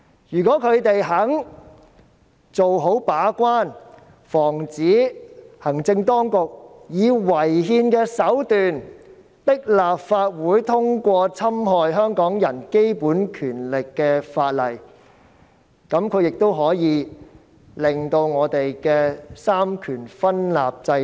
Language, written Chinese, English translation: Cantonese, 如果他們肯做好把關，防止行政當局以違憲手段迫使立法會通過侵害香港人基本權利的法案，就可以鞏固香港三權分立的制度。, If they are willing to play a good gate - keeping role to prevent the Executive Authorities from forcing the Legislative Council through unconstitutional means to pass bills which infringe the basic rights of Hong Kong people they can help consolidate the system of separation of powers in Hong Kong